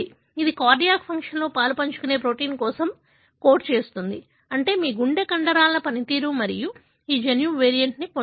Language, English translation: Telugu, It codes for a protein that is involved in the cardiac function, meaning your heart muscle function and this gene has got a variant